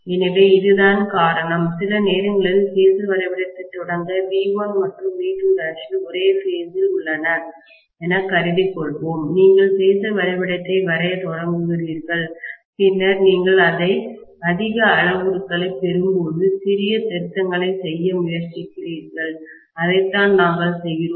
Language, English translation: Tamil, So that is the reason it is all right sometimes to start off the phasor diagram assuming that V1 and V2 dash are at the same phase and you start drawing the phasor diagram and then as and when you get more parameters, you try to make small little amends, that is what we do, right